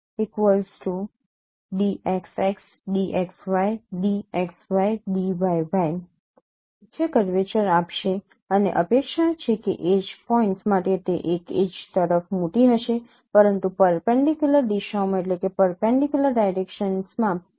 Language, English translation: Gujarati, So they will be giving the principal curvatures and it is expected that for age points it would be large across the age but a small one in the perpendicular direction